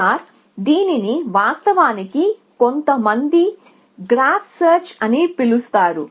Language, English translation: Telugu, So, A star is actually some people just call it graph search